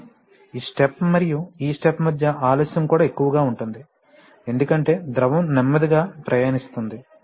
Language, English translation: Telugu, But the delay between this step and this step will also be higher, because of the fact that the, that the liquid is traveling slowly